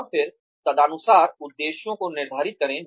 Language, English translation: Hindi, And then, set the objectives accordingly